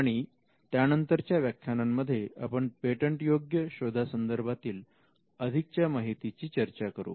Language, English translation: Marathi, And the following lectures we will discuss the details about patentability search